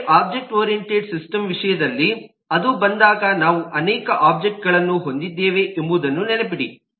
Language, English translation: Kannada, but in terms of an objectoriented system, when that comes in to be, please remember that we have multiple objects